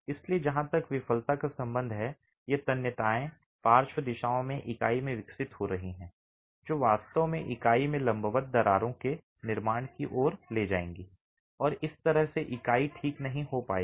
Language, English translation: Hindi, So, as far as failure is concerned, these tensile stresses developing in the unit, in the lateral direction will actually lead to formation of vertical cracks in the unit and that's how the unit will fail